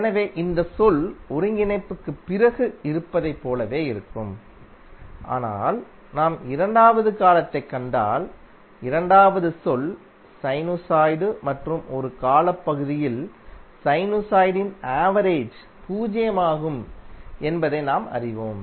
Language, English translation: Tamil, So this term will remain same as it is after integration but if you see the second term second term is sinusoid and as we know that the average of sinusoid over a time period is zero